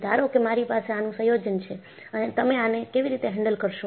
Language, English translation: Gujarati, Suppose, I have a combination of this, how do you handle this